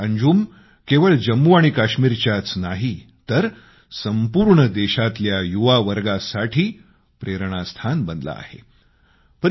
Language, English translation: Marathi, Today, he has become a source of inspiration not only in Jammu & Kashmir but for the youth of the whole country